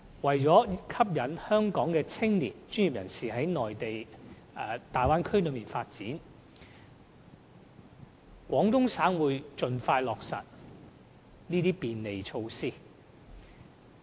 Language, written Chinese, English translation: Cantonese, 為了吸引香港的青年、專業人士到大灣區發展，廣東省會盡快落實這些便利措施。, To draw Hong Kong young people and professionals to the Bay Area for career and business development Guangdong Province will put these measures into practice as soon as possible